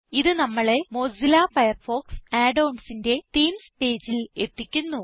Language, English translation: Malayalam, This takes us to the Themes page for Mozilla Firefox Add ons